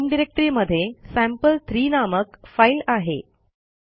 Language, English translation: Marathi, We have a file named sample3 in our home directory